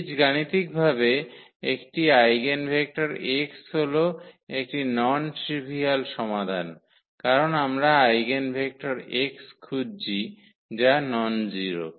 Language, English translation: Bengali, Algebraically, an eigenvector x is a non trivial solution because we are looking for the eigenvector x which is nonzero